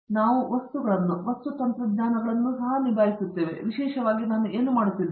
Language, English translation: Kannada, We also deal with materials, materials technologies that are particularly what I do